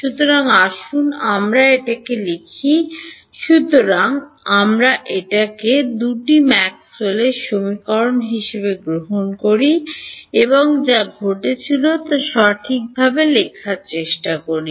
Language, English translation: Bengali, So, let us let us write it out so, let us take both are Maxwell’s equations and try to write out what happenes right